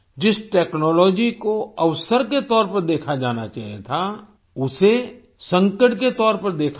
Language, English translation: Hindi, The technology that should have been seen as an opportunity was seen as a crisis